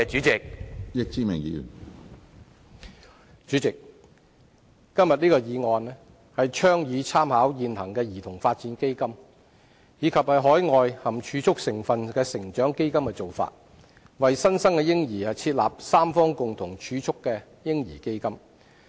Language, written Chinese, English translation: Cantonese, 主席，今天這項議案倡議參考現行兒童發展基金及海外含儲蓄成分的成長基金的做法，為新生嬰兒設立三方共同儲蓄的"嬰兒基金"。, President this motion today advocates making reference to the practices adopted by the existing Child Development Fund CDF and overseas growth funds with savings elements to establish for newborns a baby fund underpinned by tripartite savings